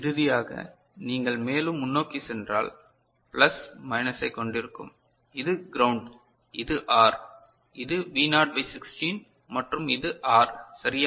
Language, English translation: Tamil, So, you will be having plus minus this is your ground ok and this is your R this is your V naught by 16 and this is R is it fine